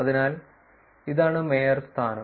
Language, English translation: Malayalam, So, this is the mayorship